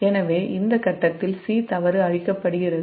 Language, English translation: Tamil, so at this point c the fault is cleared